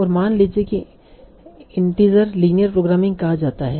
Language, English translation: Hindi, But now in the terms of integer linear programming